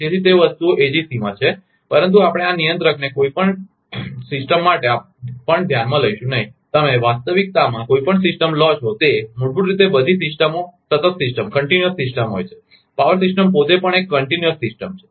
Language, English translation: Gujarati, So, those things are there in AGC, but we will not consider even this controller also for any system; any any any any any system you take in reality, basically all systems are continuous system, even power system itself is a continuous system